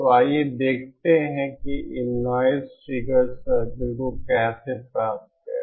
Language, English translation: Hindi, So let us let us see how to how to obtain these noise figure circles